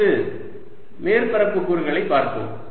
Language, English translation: Tamil, next, let's look at the area element